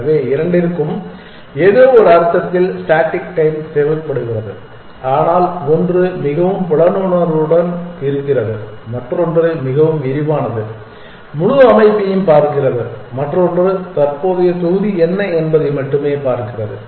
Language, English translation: Tamil, So, both require constant time in some sense, but one is more perceptive then the other one is more detailed one looks at the entire structure the other one only looks at what the current block